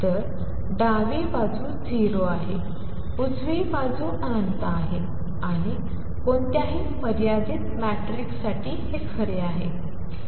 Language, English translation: Marathi, So, left hand side is 0, right hand side is infinity and that is true for any finite matrix